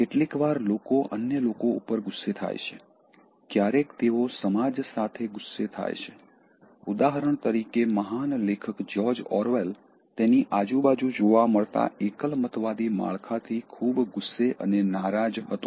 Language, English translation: Gujarati, Sometimes people are angry with others, sometimes they are angry with the society, grief writers when they are angry like, George Orwell for example he was very angry and upset with the totalitarian setup that was around him